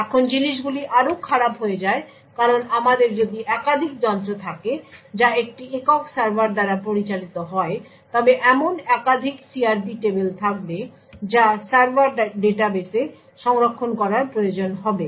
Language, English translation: Bengali, Therefore now things get much more worse because if we have multiple devices which are managed by a single server, there would be multiple such CRP tables that are required to be stored in the server database